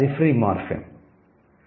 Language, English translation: Telugu, That's a free morphem